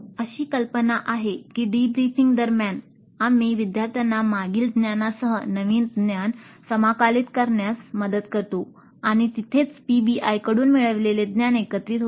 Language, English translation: Marathi, So the idea is that during the debriefing we help the students to integrate the new knowledge with the previous knowledge and that is where the gains from PBI get consolidated